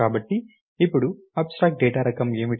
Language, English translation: Telugu, So now, that is what is abstract data type